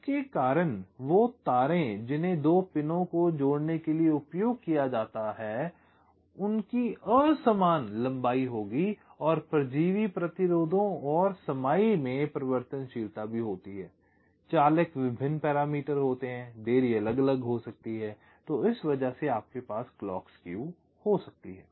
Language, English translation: Hindi, because of the means unequal length of the wires that are used to connect the two pins, and also variability in the parasitic resistances and capacitances drivers various parameters are there, the delays can be different and because of that you can have this clock skew right